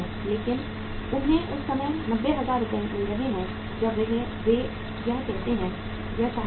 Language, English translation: Hindi, But they are getting 90,000 Rs at the time when they want it